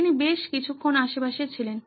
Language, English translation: Bengali, He was around for a quite a while